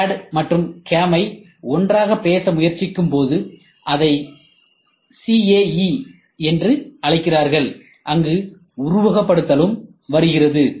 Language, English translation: Tamil, So, this tries to CAD and CAM when we try to talk together, people call it as CAE where simulation also comes